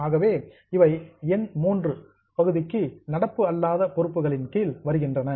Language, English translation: Tamil, So, they come under item number three, non current liabilities